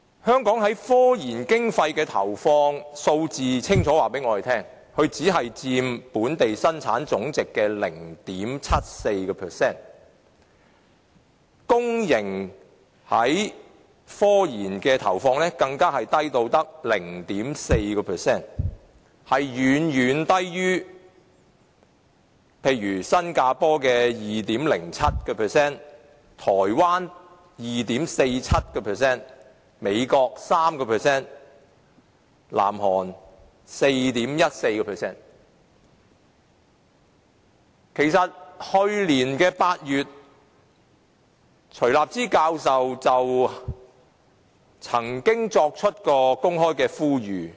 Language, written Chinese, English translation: Cantonese, 香港的科研經費投放數字清楚告訴我們，它只佔本地生產總值的 0.74%， 公營企業對科研的投放更低至 0.4%， 遠遠低於新加坡的 2.07%、台灣的 2.47%、美國的 3%， 以及南韓的 4.14%。, The figure of Hong Kongs investment in scientific research gives us a clear picture as it only takes up 0.74 % of the gross domestic product . The investment in scientific research by public enterprises is even as low as 0.4 % far lower than that of 2.07 % of Singapore 2.47 % of Taiwan 3 % of the United States and 4.14 % of South Korea